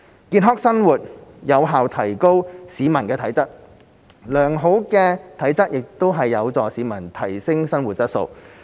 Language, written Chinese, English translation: Cantonese, 健康生活有效提高市民的體質，而良好的體質則有助市民提升生活質素。, Healthy living effectively improves the physical fitness of the public and good physical fitness in turn helps people improve their quality of life